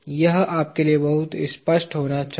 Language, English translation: Hindi, This should be very clear to you